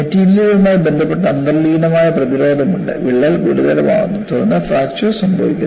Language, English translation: Malayalam, There is inherent resistant associated with the material; the crack becomes critical, then only fracture occurs